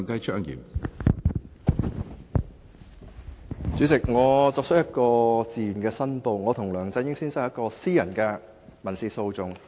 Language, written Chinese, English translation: Cantonese, 主席，我自願作出申報，我與梁振英先生涉及一宗私人民事訴訟。, President I declare on my own initiative that Mr LEUNG Chun - ying and I are involved in a private civil action